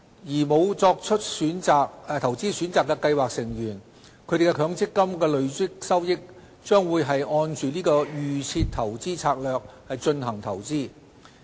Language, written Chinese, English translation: Cantonese, 而沒有作出投資選擇的計劃成員的強積金累算收益，將會按"預設投資策略"進行投資。, The MPF accrued benefits of scheme members who have not made any investment choices will be invested according to DIS